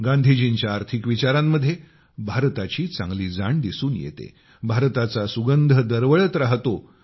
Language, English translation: Marathi, Gandhiji's economic vision understood the pulse of the country and had the fragrance of India in them